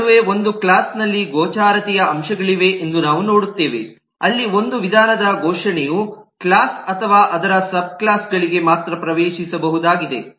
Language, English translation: Kannada, in between, we will also see that there is a class of visibility factors where a declaration of a method is accessible only to the class itself or to its subclasses